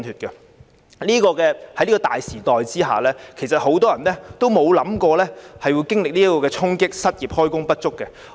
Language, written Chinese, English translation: Cantonese, 在這個大時代之下，很多人也沒有預料到會經歷這個衝擊、失業、開工不足等。, In this great era many people have not expected that they would be caught in these woes or become jobless or underemployed . Some time ago we visited a restaurant